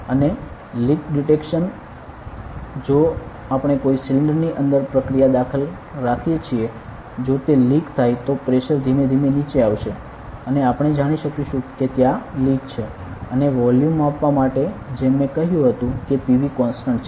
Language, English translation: Gujarati, And leak detection; if we keep a process insert inside a cylinder if it is leaking the pressure will drop gradually and we will be able to know that there is leak and for volume measurement, as I said PV is a constant ok